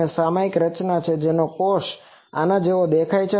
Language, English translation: Gujarati, It is a periodic structure one cell looks like this